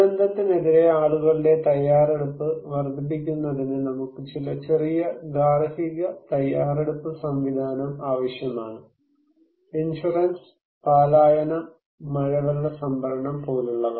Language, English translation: Malayalam, So, we need some small household preparedness mechanism to enhance people's preparedness against the disaster that is for sure, like insurance, like evacuations, like rainwater harvesting